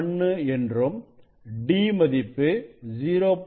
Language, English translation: Tamil, 1 and d value is 0